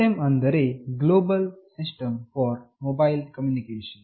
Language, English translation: Kannada, GSM stands for Global System for Mobile Communication